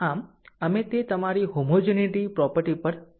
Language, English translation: Gujarati, So we will come to that your homogeneity property